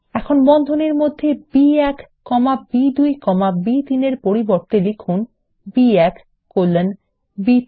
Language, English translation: Bengali, Now, within the braces, instead of B1 comma B2 comma B3, type B1 colon B3 Press Enter